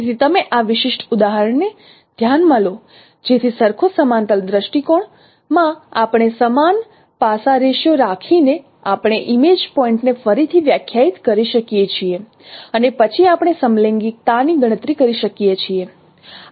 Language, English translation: Gujarati, So in a foreign to parallel view, we by keeping the same aspect ratio we can redefine the image points and then we can compute the homographic